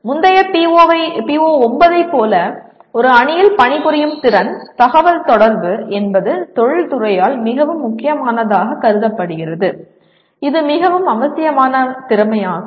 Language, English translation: Tamil, Once again like the earlier PO9, ability to work in a team, communication is also considered very very crucial by industry, is a very essential skill